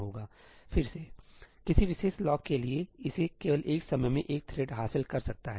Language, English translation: Hindi, again, for any particular lock, it can only be acquired by one thread at a time